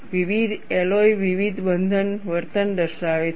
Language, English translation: Gujarati, Different alloys exhibit different closure behaviors